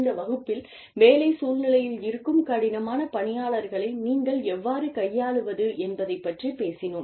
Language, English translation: Tamil, And, in this class, we will talk about, how do you handle difficult employees, who, in the work situation